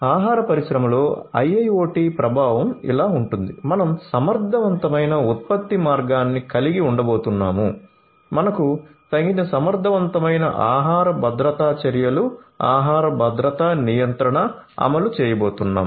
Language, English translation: Telugu, So, the impact of IIoT in the food industry is like this that we are going to have efficient production line, we are going to have adequate, suitable, efficient food safety measures, the food safety regulation implemented